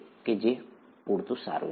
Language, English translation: Gujarati, That is good enough